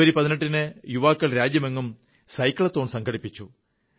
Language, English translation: Malayalam, On January 18, our young friends organized a Cyclothon throughout the country